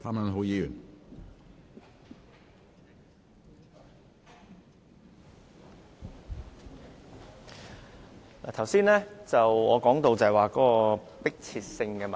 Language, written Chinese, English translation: Cantonese, 主席，剛才我說到迫切性問題。, President just now I was speaking on the question of urgency